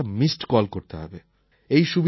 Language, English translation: Bengali, All you have to do is to give a missed call